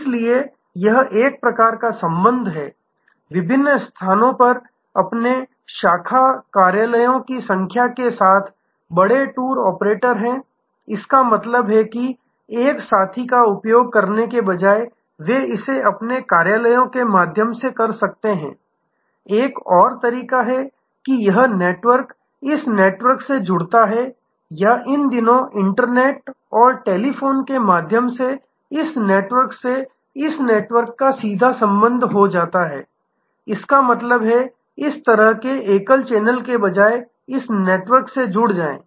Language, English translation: Hindi, So, that is one kind of connection, there are big tour operators with their number of branch offices at various places; that means instead of using a partner, they may do it through their own offices; that is another way this network connects to this network, this networks connects to this network or these days through internet and telephone, there can be a direct connection from this network to this network; that means, instead of this kind of a single channel there can be… So, this is a network, I am deliberately putting some non linear parts here and this is another network